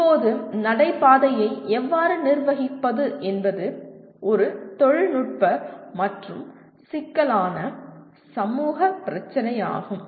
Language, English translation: Tamil, Now how do you manage the corridor is a both a technical and a complex social problem